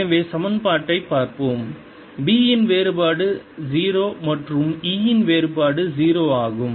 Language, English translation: Tamil, so let's look at the equation: divergence of b is zero and divergence of e is zero